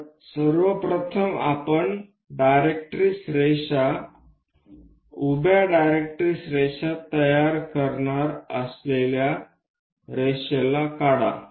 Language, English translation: Marathi, So, first of all draw a directrix line a vertical directrix line we are going to construct